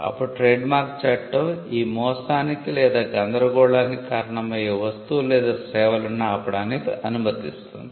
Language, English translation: Telugu, Then the trademark law will allow the trademark holder to stop the goods or services that are causing the deception or the confusion